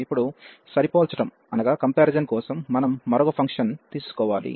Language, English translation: Telugu, And now for the comparison we have to take another function